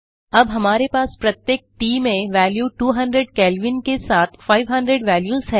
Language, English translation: Hindi, We now have 500 values in T each with the value 200 Kelvin